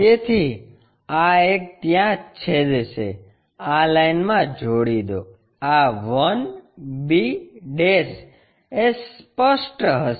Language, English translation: Gujarati, So, this one will be intersected there join this line, this will be apparent 1 b'